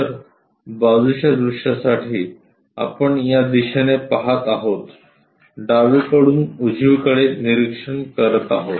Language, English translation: Marathi, So, for side view, we are looking from this direction from left to right we are observing it